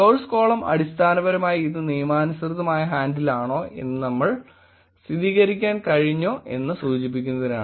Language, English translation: Malayalam, Source column is basically to show that whether we were able to confirm whether this is the legitimate handle